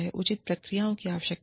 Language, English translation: Hindi, Fair procedures are required